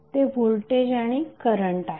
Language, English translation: Marathi, That is voltage and current